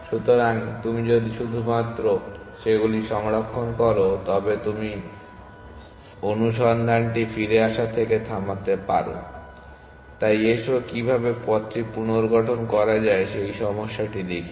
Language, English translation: Bengali, Hence, if you only store those then you can stop the search from coming back, so let us look at the other problem of how to reconstruct the path